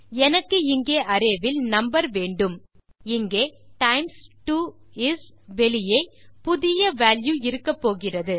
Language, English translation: Tamil, So I need the number in the array here times 2 is and then outside of this is going to be the new value